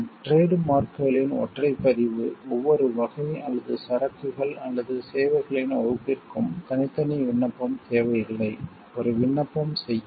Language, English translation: Tamil, Single registration of trademarks, no separate application is necessary for each category or class of goods or services, a single application would do